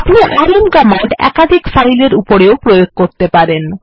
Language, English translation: Bengali, We can use the rm command with multiple files as well